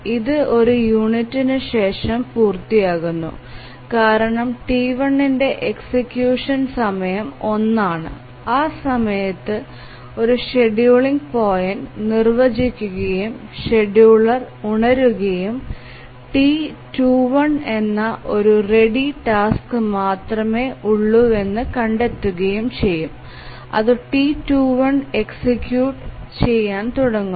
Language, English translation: Malayalam, It completes after one unit because execution time of T1 is 1 and at that point defines a scheduling point and the scheduler will wake up and find that there is only one ready task which is T2 1 it will start executing T2 1